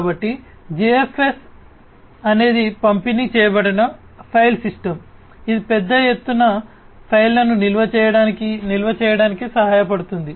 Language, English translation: Telugu, So, GFS is a distributed file system that helps in supporting in the storing, storage of large scale files